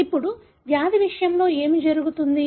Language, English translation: Telugu, Now, what happens in case of disease